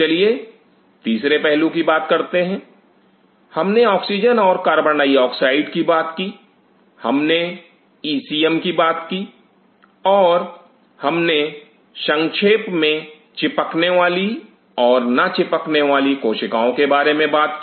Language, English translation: Hindi, Let us talk about the third aspect of, we have talked about oxygen and CO2, we have talked about e c m and we have briefly talked about adhering and non adhering cells